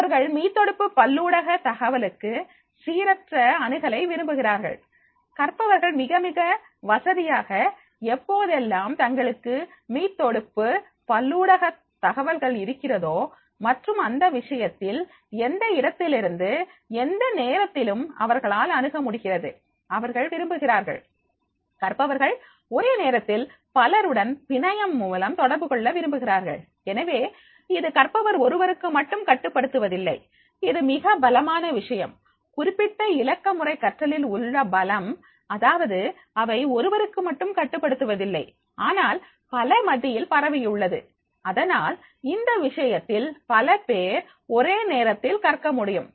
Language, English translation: Tamil, They prefer random access to a hyperlinked multimedia information, the learners are very, very comfortable whenever they are having access to the hyperlinked multimedia information and therefore in that case from anyplace, any time and they can make this access, they prefer, learner prefer to interact a network simultaneously with many others, so it is not restricted to only one learner, it is a very strong point of the strength of these particular digital learning that is the, they are not restricted to the one, but they have been spread among many and therefore in that case, many other simultaneously they can also learn